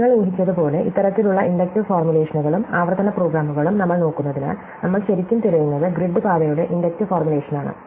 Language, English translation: Malayalam, So, as you might guess, since we are looking at these kind of inductive formulations and recursive programs, what we are really looking for is the inductive formulation of the grid path